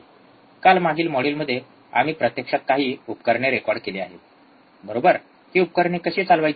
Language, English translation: Marathi, Yesterday, in the last module actually we have recorded few of the equipment, right how to operate this equipment